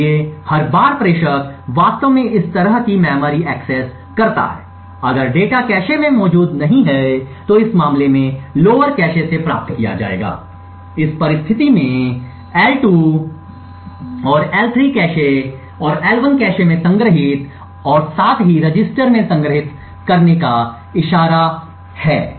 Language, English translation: Hindi, So, each time the sender actually make such a memory access, the data if it is not present in the cache would be fetched from a lower cache in this case the L2 and L3 cache and stored in the L1 cache as well as stored in a register pointed to buy this